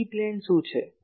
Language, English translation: Gujarati, What is the E plane